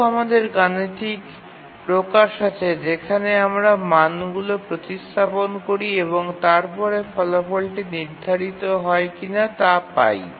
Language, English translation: Bengali, Can we have a mathematical expression where we substitute values and then we get the result whether it is schedulable or not